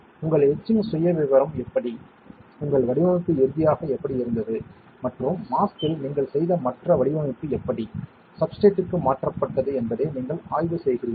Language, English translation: Tamil, You are inspecting how your etching profile has been how your design has finally, and how other design that you have made in the mask, how it has been transferred to the substrate